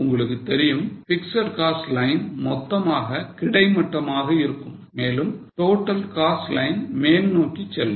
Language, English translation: Tamil, You know that fixed cost line is totally horizontal and total cost line goes up